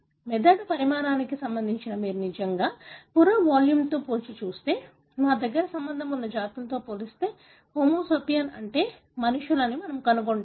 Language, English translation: Telugu, If you really compare the skull volume relative to the brain size, we will find that the Homo sapiens that is the humans, we have the largest volume as compared to our closely related species